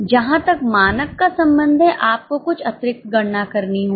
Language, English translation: Hindi, As far as the standard is concerned, you will have to make some extra calculation